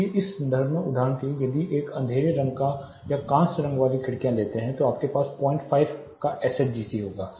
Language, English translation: Hindi, So, in this context for example, if you take a dark tinted or bronze tinted windows you will have an SHGC of something like 0